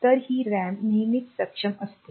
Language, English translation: Marathi, So, this RAM is always enabled